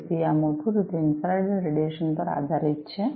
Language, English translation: Gujarati, So, these are basically based on infrared radiation